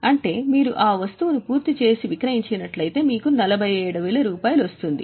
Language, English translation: Telugu, That means if you sell that item, if you complete and sell that item, you will realize 47,000